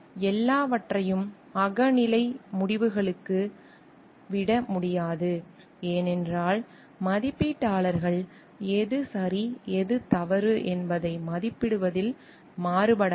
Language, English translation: Tamil, And everything cannot be left to the subjective decisions, because the raters may vary also in their evaluation of what is right and what is wrong